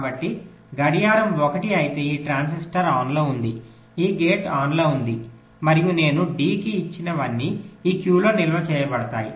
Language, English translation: Telugu, so if clock is one, then this transistor is on, this gate is on and whatever i have applied to d, that will get stored in q